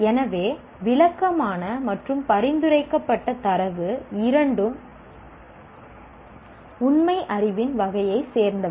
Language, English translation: Tamil, So, both descriptive and prescriptive data belong to the category of factual knowledge